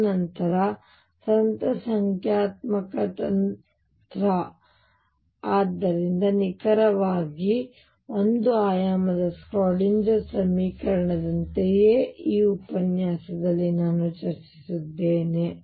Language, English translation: Kannada, And then the technique the numerical technique therefore, is exactly the same as for the 1 dimensional Schrödinger equation that is what I have discussed in this lecture